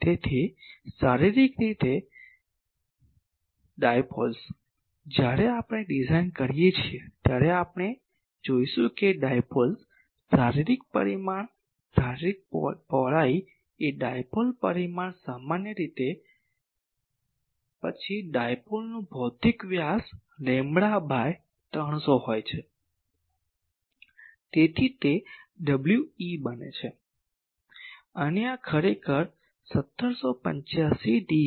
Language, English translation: Gujarati, So, physical generally dipoles, when we design we will see that dipoles, the physical dimension a physical width of a dipole is generally the then a physical diameters of dipole are lambda by 300